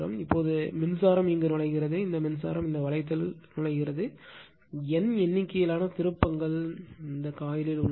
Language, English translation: Tamil, Now, current actually entering it, this current is entering this ring has N number of turns right